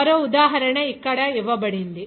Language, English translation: Telugu, Another example is given here